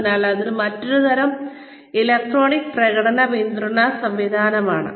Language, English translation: Malayalam, So, that is the another type of, electronic performance support system